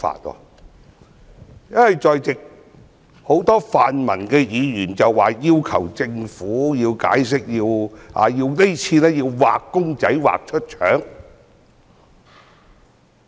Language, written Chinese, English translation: Cantonese, 很多在席的泛民議員要求政府解釋，要"畫公仔畫出腸"。, Many members of the pan - democratic camp in the Chamber have asked the Government to give an explanation and state the obvious